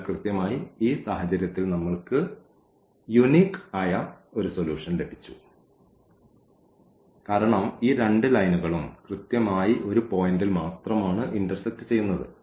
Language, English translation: Malayalam, So, precisely in this case what we got we got the unique solution because these 2 lines intersect exactly at one point